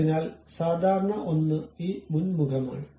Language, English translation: Malayalam, So, one of the normal is this front face